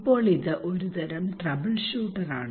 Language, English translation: Malayalam, Now it is a kind of trouble shooter